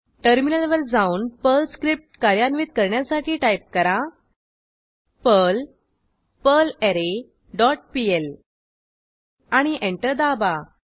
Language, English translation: Marathi, Then switch to terminal and execute the Perl script as perl perlArray dot pl and press Enter